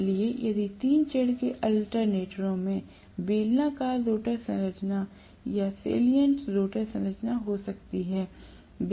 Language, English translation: Hindi, So if three phase alternators can have cylindrical rotor structure or salient rotor structure